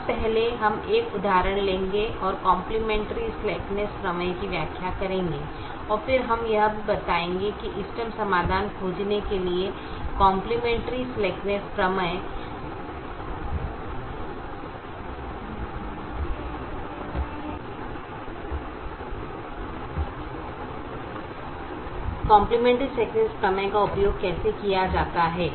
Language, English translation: Hindi, now, first we will take an example and explain the complimentary slackness theorem, and then we will also explain how the complimentary slackness theorem can be used to find the optimum solution